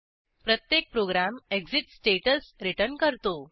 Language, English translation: Marathi, Every program returns an exit status